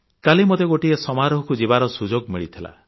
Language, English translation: Odia, Yesterday I got the opportunity to be part of a function